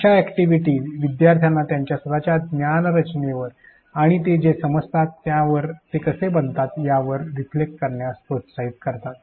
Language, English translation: Marathi, Such activities motivate the learners to reflect on their own knowledge structure and how they can build on what they know